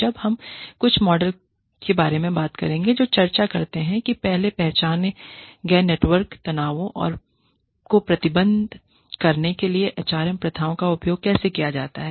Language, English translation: Hindi, Now, we will talk about some models, that discuss, how HRM practices are used, to manage networked tensions, identified earlier